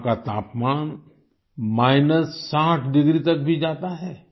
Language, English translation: Hindi, The temperature here dips to even minus 60 degrees